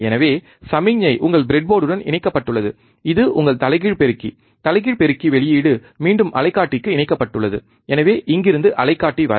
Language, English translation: Tamil, So, signal is connected to your breadboard, it is your inverting amplifier, inverting amplifier output is connected back to the oscilloscope so, from here to oscilloscope